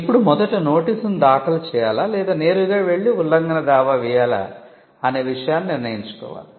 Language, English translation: Telugu, Now, this is a call that the professional has to take as to whether to go for file a notice first or whether to go directly and file an infringement suit